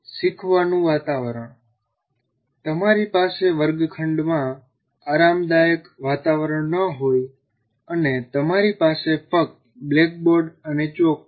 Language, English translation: Gujarati, And once again, learning environment, you may have not so comfortable a classroom, only you have blackboard and chalk piece